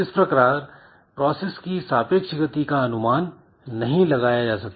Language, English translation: Hindi, So, that way the relative speed is not predictable